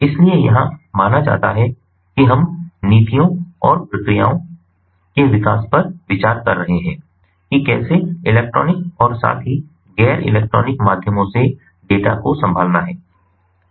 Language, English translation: Hindi, so here we are considered, ah, we are considering the development of the policies and the procedures about how to handle the data electronically as well as well as through non electronic means